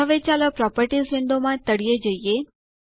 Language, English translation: Gujarati, Now let us scroll to the bottom in the Properties window